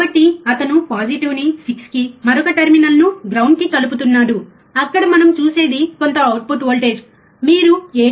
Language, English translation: Telugu, So, he is connecting the the positive to 6, and the another terminal to ground, what we see there is some output voltage, you can see 7